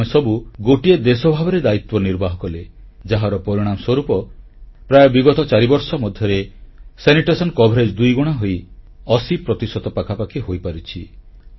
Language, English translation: Odia, All of us took up the responsibility and the result is that in the last four years or so, sanitation coverage has almost doubled and risen to around 80 percent